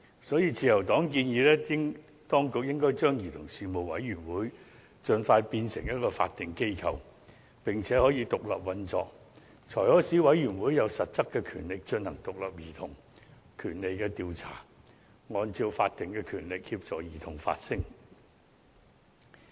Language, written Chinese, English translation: Cantonese, 所以，自由黨建議當局應該盡快把委員會變為法定機構，並且可以獨立運作，才可以使委員會有實質權力進行獨立的兒童權利調查，按照法定權力協助兒童發聲。, Hence the Liberal Party suggests the Administration to expeditiously make the Commission an independently operating statutory body so that it can have substantive powers to conduct independent investigations into childrens rights and assist children in making their voices heard by virtue of statutory powers